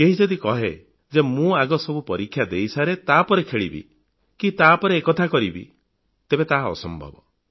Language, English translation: Odia, If someone says, "Let me finish with all exams first, I will play and do other things later"; well, that is impossible